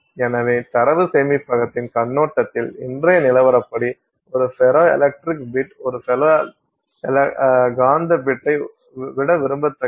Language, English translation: Tamil, So, therefore from the perspective of data storage a ferroelectric bit is more desirable than a ferromagnetic bit as of today